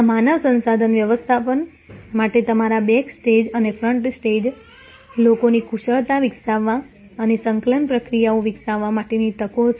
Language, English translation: Gujarati, These are opportunities for human resource management developing the skills of your backstage and front stage people and developing the coordination processes